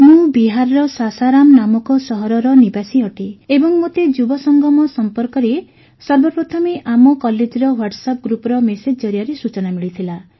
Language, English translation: Odia, I am a resident of Sasaram city of Bihar and I came to know about Yuva Sangam first through a message of my college WhatsApp group